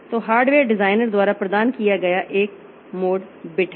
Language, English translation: Hindi, So, there is a mode bit provided by the hardware designer